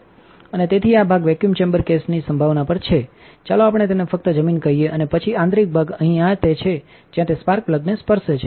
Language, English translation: Gujarati, And so, this part is at the vacuum chamber case potential let us just call it ground and then the inner part here this is where it touches the spark plug